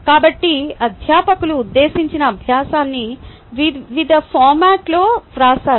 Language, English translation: Telugu, so faculty right, the intended learning in various formats